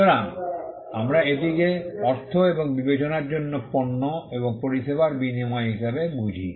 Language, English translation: Bengali, So, we understand it as an exchange, of goods and services for money or consideration